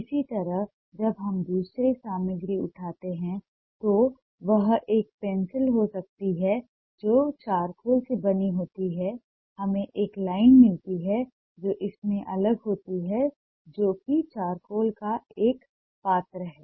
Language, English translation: Hindi, similarly, when we pick up another material may be a pencil that is made out of charcoal, we get a line which is different from this